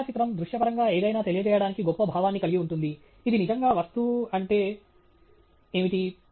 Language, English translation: Telugu, A photograph has a great sense of conveying something visually that, you know, this is really what the object is